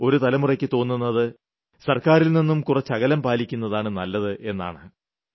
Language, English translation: Malayalam, One generation still feels that it is best to keep away from the government